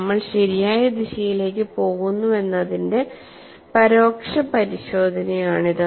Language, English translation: Malayalam, So, this is an indirect check that we are proceeding in the right direction